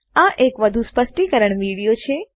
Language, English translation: Gujarati, This is more of an explanation to video